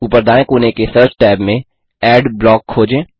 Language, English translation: Hindi, In the search tab, at the top right corner, search for Adblock